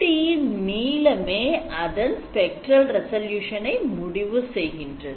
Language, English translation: Tamil, That is why the spectral resolution goes up